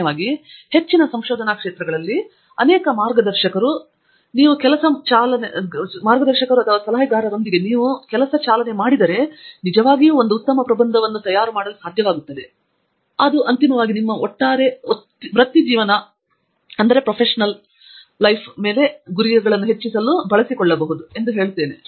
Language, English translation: Kannada, In general, one can say that in most research areas and with many guides and advisor, if you drive you will be able to actually make a very good thesis and in the end actually use that for to furthering your overall career goals